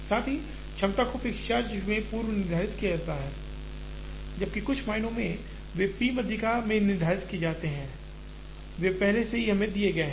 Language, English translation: Hindi, As well as, the capacities are predetermined in the fixed charge, whereas in some ways, they are post determined in the p median, they are already given to us